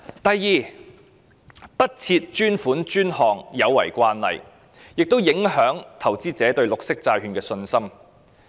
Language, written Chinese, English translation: Cantonese, 第二，不設專款專項有違慣例，亦影響投資者對綠色債券的信心。, Secondly it violates the established practice to not allocate dedicated funding for dedicated uses and also affects investor confidence in green bonds